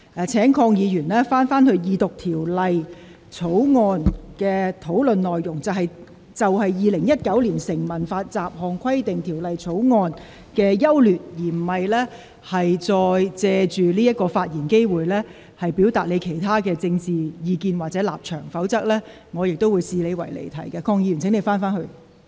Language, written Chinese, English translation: Cantonese, 鄺議員，請你返回這項二讀辯論的議題，就《2019年成文法條例草案》的整體優劣進行辯論，而不是借此發言機會，表達你的其他政見或立場，否則我亦會視你的發言離題。, Mr KWONG please return to the subject of this Second Reading debate and speak on the overall pros and cons of the Statute Law Bill 2019 . You should not make use of this opportunity to express other political views or positions . Otherwise I will regard you as digressing from the subject